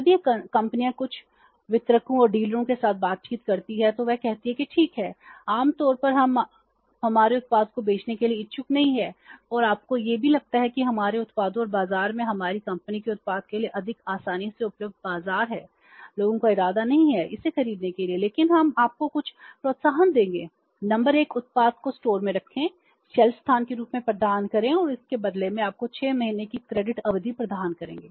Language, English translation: Hindi, When these companies interact with some of the distributors and dealers they say that okay you are normally not interested to sell our product and you also feel that there is no easily available to market for our products and is our company's product in the market people are not intending to buy it but we will give you some incentives number one you can keep the product in the store provide us the self space and in return to that we will give you a credit period of six months you keep the product on the self try to sell it if Samsung is giving you 10% profit I will give you a credit period of 6 months